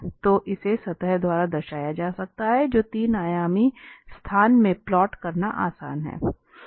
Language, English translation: Hindi, So, that can be represented by surface which is easy to plot in a 3 dimensional space